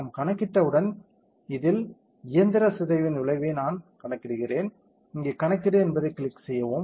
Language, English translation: Tamil, Once we compute we will see the effect of mechanical deformation on this I am computing, click compute here